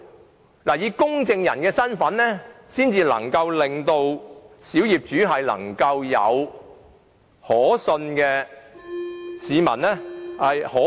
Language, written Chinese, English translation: Cantonese, 政府必須以公證人的身份介入，才能讓小業主感覺獲得可信機構的協助。, The Government must intervene as a notary to reassure minority owners that they are assisted by a reliable organization